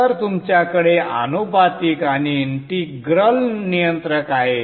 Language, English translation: Marathi, So you have the proportional and the integral controller